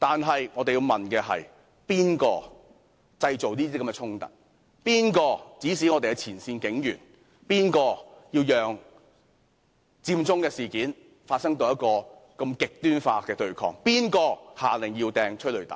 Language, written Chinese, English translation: Cantonese, 不過，我們要問：是誰製造這些衝突；是誰指示我們的前線警員；是誰讓佔中事件發展至如此極端化的對抗；是誰下令發射催淚彈？, Yet we have to ask Who caused these conflicts; who gave instructions to the frontline police officers; who allowed the Occupy Central action to develop to this extreme protest and who ordered the firing of tear gas canisters?